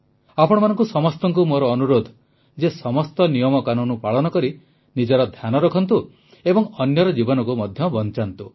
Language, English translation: Odia, I urge all of you to follow all the guidelines, take care of yourself and also save the lives of others